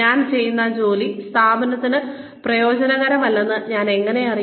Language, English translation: Malayalam, How will I know that, the work that I am doing, is not useful for the organization